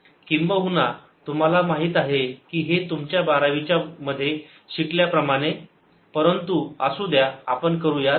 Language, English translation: Marathi, probably you know this result from your twelfth grade, but any well as do it